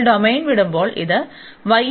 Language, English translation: Malayalam, And then when we leave the domain, this is y is equal to x, so we have y is equal to x